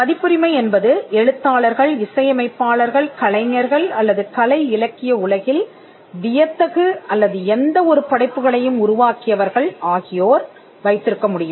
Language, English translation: Tamil, Copyright can vest on the authors, composers, artists or creators of artistic literary, dramatic or any form of creative work